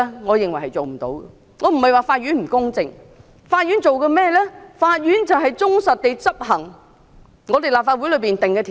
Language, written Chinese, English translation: Cantonese, 我並非說法院不公正，而是法院負責忠實執行立法會所定的法例。, I am not saying that the court is unjust . I am only saying that the court is required to faithfully enforce the laws enacted by the Legislative Council